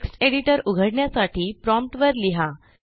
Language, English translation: Marathi, To open the text editor, type on the terminal